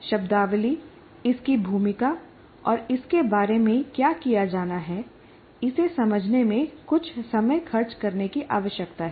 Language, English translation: Hindi, So it requires some amount of spending time in understanding all the terminology, it's a role, and what is to be done about it